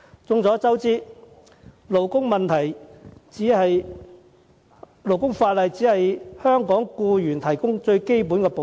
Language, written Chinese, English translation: Cantonese, 眾所周知，勞工法例只為香港僱員提供最基本的保障。, As we all know the labour legislation only provides basic protection to Hong Kong employees